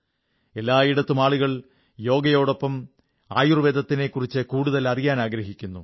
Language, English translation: Malayalam, People everywhere want to know more about 'Yoga' and along with it 'Ayurveda' and adopt it as a way of life